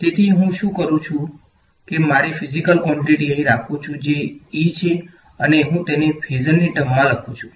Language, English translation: Gujarati, So, what I do is I keep I take my physical quantity over here that is E and I write it in terms of phasor